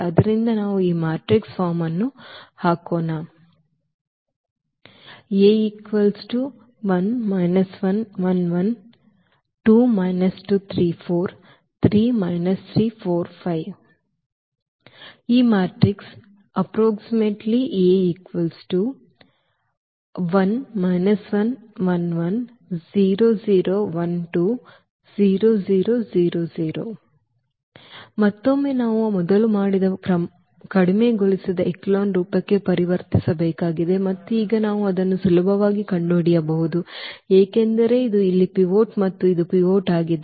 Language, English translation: Kannada, And again we need to just convert into the reduced echelon form which we have done just before and now we can easily find it out because this is the pivot here and this is the pivot